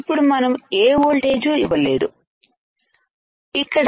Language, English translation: Telugu, Now we have not applied any voltage here